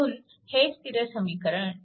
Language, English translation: Marathi, This is equation 2